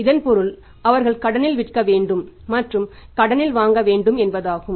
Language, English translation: Tamil, So, it means he has to sell on the credits he has also to buy on the credit